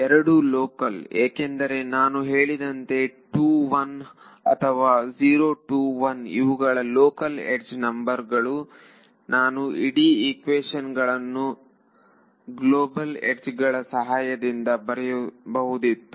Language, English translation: Kannada, Both are local right both this and this are local because I have the I have mentioned 2 1 or 0 2 1 that is only 0 1 or 2 those are the local edge numbers I could have written these whole equation purely in terms of global edges also